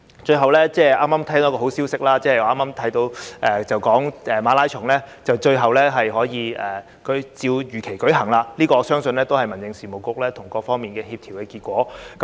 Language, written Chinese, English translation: Cantonese, 最後，剛剛得知一個好消息，就是馬拉松終於可以如期舉行，我相信這也是民政事務局與各方面協調的結果。, Lastly I have just heard of the good news that the marathon will be held as scheduled and the credit should go to HAB as it has made a lot of efforts to coordinate with various parties